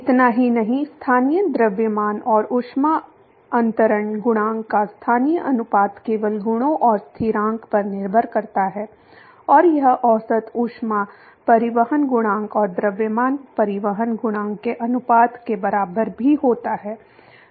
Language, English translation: Hindi, Not just that the local ratio of local mass and heat transfer coefficient depends only on the properties and constant and that is also equal to the ratio of average heat transport coefficient and mass transport coefficient